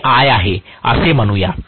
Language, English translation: Marathi, Let us say this is I